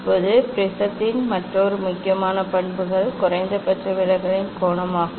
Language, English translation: Tamil, now another important characteristics of prism is the angle of minimum deviation